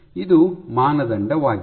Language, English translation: Kannada, This is the criteria